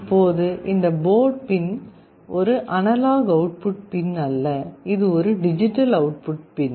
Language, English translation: Tamil, Now this port pin is not an analog output pin, it is a digital output pin